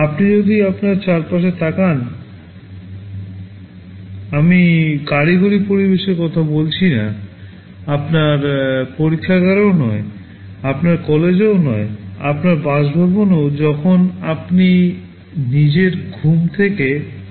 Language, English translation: Bengali, If you look around you; well I am not talking about in a technical environment, not in your laboratory, not in your college well even in your residence when you wake up from your sleep